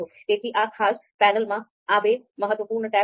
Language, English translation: Gujarati, So this is the most important panel